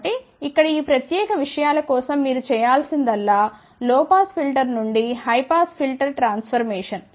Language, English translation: Telugu, So, here for these particular things all you need to do it is for low pass filter to high pass filter transformation